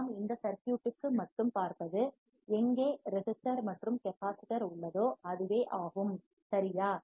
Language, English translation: Tamil, We are looking only on this circuit where resistor and capacitor was there correct